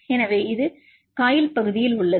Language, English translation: Tamil, So, here this is in coil region right